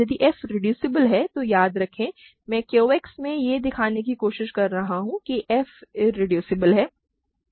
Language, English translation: Hindi, If f is reducible, remember, I am trying to show that f is irreducible in Q X